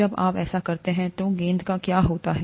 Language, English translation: Hindi, When you do that, what happens to the ball